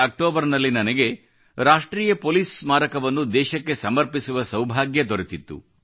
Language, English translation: Kannada, In the month of Octoberlast year, I was blessed with the opportunity to dedicate the National Police Memorial to the nation